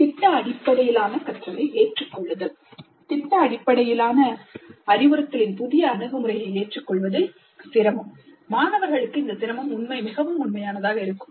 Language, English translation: Tamil, Then adapting to project based learning, difficulty in adapting to the new approach of project based instruction for students, this difficulty can be very real